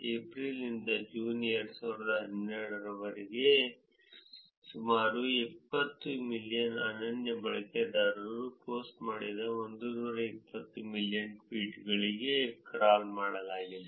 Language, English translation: Kannada, And the crawl was done for 120 million tweets posted by about close to 20 million unique users from April to June 2012